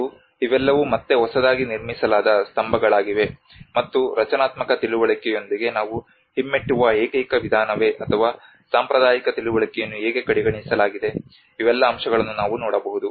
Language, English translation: Kannada, And these are all again the new constructed plinths and whether is it the only method we have going aback with the structural understanding or how the traditional understanding has been overlooked, these are some aspects we can look at